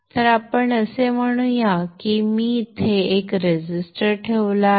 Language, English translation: Marathi, So let's say I put a resistance here